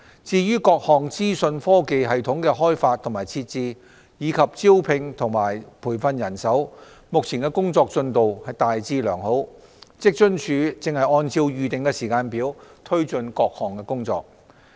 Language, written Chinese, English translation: Cantonese, 至於各項資訊科技系統的開發及設置，以及招聘和培訓人手，目前的工作進度大致良好，職津處正按照預定的時間表推進各項工作。, As for the development and installation of different IT systems as well as manpower recruitment and training the current progress has been largely satisfactory . WFAO is now taking forward various tasks according to the planned schedule